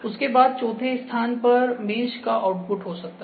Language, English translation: Hindi, After that fourth point here could be the output of the mesh